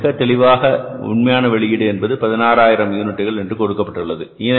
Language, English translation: Tamil, You are given very clearly the actual output is 16,000 units